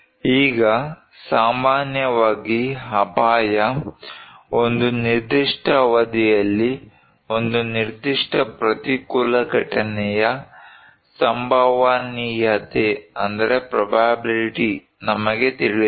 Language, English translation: Kannada, Now, risk in general, we know the probability of a particular adverse event to occur during a particular period of time